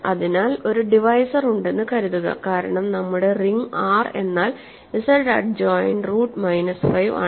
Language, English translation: Malayalam, So, suppose there is a divisor because remember our ring is a R is Z adjoint square root minus 5